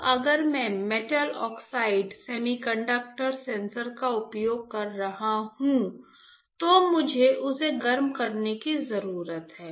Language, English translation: Hindi, Now if I am using metal oxide semiconductor sensor I need to heat it up